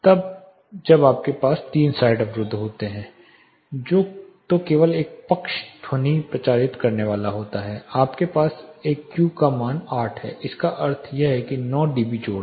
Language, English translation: Hindi, Then when you have 3 side enclosures only one side sound is going to propagate you have a Q of 8 which means it is nine dB additions